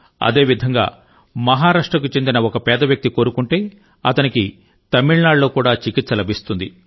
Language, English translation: Telugu, Similarly, if a deprived person from Maharashtra is in need of medical treatment then he would get the same treatment facility in Tamil Nadu